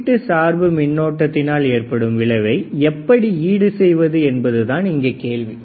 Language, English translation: Tamil, So, now the question is if that is the case we have to compensate the effect of input bias current right